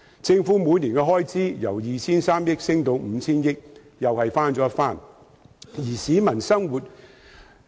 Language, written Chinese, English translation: Cantonese, 政府每年的開支由 2,300 億元上升至 5,000 億元，同樣翻了一番。, The Governments annual expenditure has increased from 230 billion to 500 billion; which has also doubled